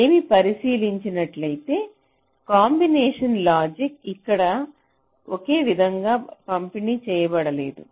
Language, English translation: Telugu, ah well, the combinational logic is not uniformly distributed